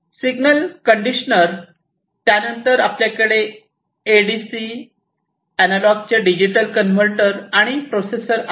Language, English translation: Marathi, So, signal conditioner, then you have the ADC, the analog to digital converter and the processor